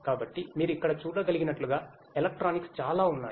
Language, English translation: Telugu, So, as you can see over here there is lot of electronics and so on